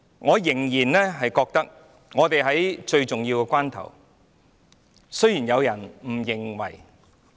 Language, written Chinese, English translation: Cantonese, 我認為今天我們正處於最重要的關頭，儘管有人不認為是這樣。, I think we are now in the most critical moment though some people do not think so